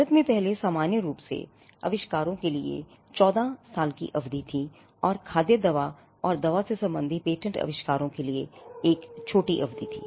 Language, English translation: Hindi, India earlier had a 14 year period for inventions in general and a shorter period for patents inventions pertaining to food drug and medicine